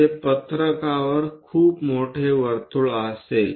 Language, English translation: Marathi, It will be very large circle on the sheet